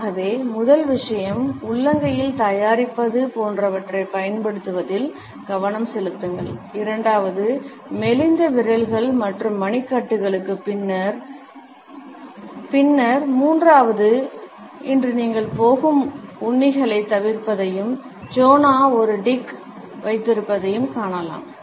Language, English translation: Tamil, So, the first thing pay attention one for no use of like make in the palms available, second for flimsy fingers and wrists and then third tip today is to avoid ticks you are going see that Jonah has a tick where he constantly touches his tie